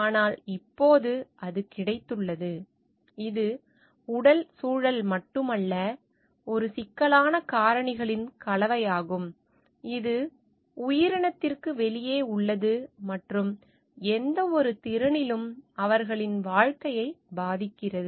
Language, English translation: Tamil, But, now it has got a it is not only the physical environment, but it is a complex combination of factors, which are outside the organism external to it and influence their living in any capacity